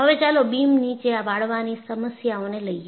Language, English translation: Gujarati, Now, let us take the problem of a beam under bending